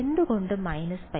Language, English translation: Malayalam, Why minus pi